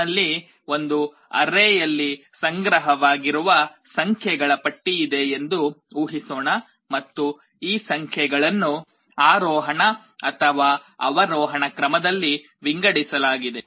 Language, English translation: Kannada, Just assume that I have a list of numbers which are stored in an array, and these numbers are sorted in either ascending or descending order